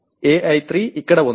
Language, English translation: Telugu, AI3 is here